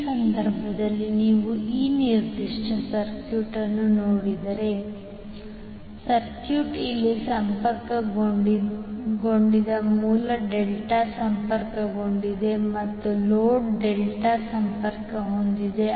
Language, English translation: Kannada, So in this case if you see this particular circuit, the circuit is delta delta connected here the source is delta connected as well as the load is delta connected